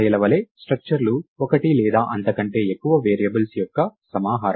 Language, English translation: Telugu, So, structures as arrays are are a collection of one or more variables